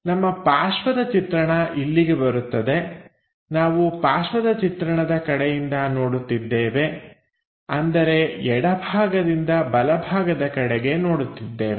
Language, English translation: Kannada, So, our side view comes here here we are looking from side view from left direction to right direction